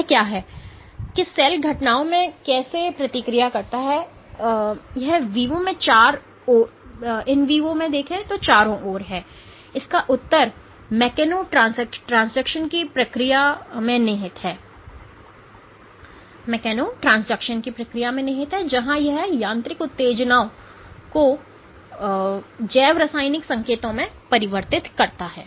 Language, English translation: Hindi, What is it that the how does the cell react to events in it is surrounding in vivo and the answer to that lies in this process of mechanotransduction where it converts mechanical stimuli to biochemical signals